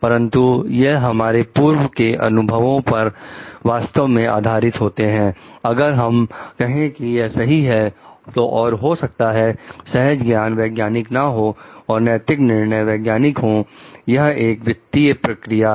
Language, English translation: Hindi, So, but this is based on actually past experience, if we tell like this is right and maybe intuition is not scientific ethical justification is scientific it is actually a circular process